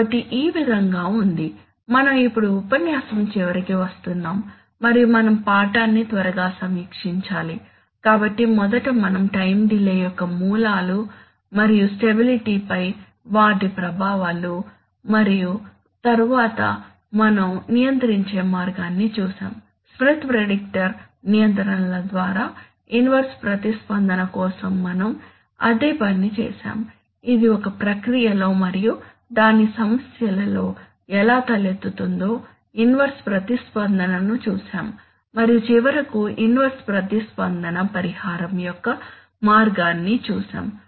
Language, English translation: Telugu, So this is the way that, we are now coming to the end of the lecture and we have to quickly review the lesson, so first we so are the sources of time delays and their effects on stability and then we saw a way of controlling, by Smith predictor controls, we did exactly the same thing for inverse response, we saw inverse response how it arises in a process and its problems and finally we saw a way of inverse response compensation